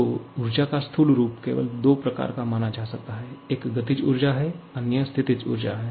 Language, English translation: Hindi, So, the macroscopic form of energy can be considered to be only of 2 types; one is the kinetic energy, other is the potential energy